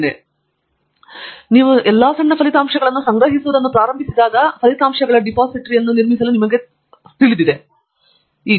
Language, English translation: Kannada, We will now look at, how do you as you start collecting all those small results and you know, building up your depository of results